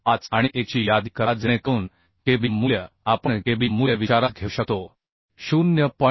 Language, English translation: Marathi, 975 and 1 so kb value we can consider kb value we can consider as 0